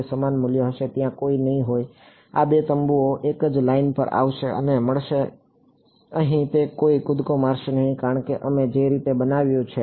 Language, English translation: Gujarati, it will be the same value there will be no these 2 tents will come and meet at the same line there will be no jump over here, because of the way we have constructed it